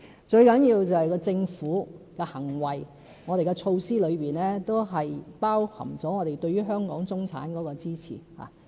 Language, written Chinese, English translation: Cantonese, 最重要的是政府的行為，我們的措施中包含了我們對於香港中產的支持。, The most important things must be the Governments acts and the provisionof assistance to the Hong Kong middle class in our policies